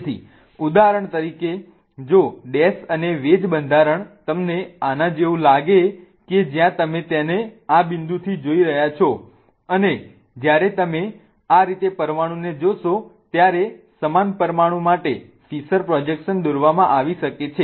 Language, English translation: Gujarati, So, for example if a dash and wedge structure looks like this to you wherein you are looking at it from this point, a fissure projection for the same molecule can be drawn when you look at the molecule like this